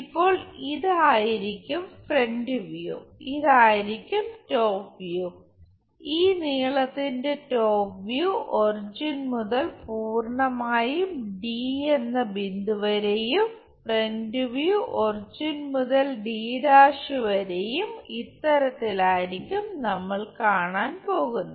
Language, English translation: Malayalam, So, front view will be this one front view and this one top view, top view of this length what we are going to see, all the way from origin to d point and front view will be from origin all the way to d’